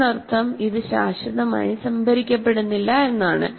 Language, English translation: Malayalam, That means it is not permanently stored at all